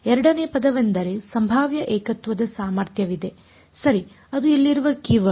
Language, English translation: Kannada, Second term is where there is a potential singularity potential right that is the keyword over here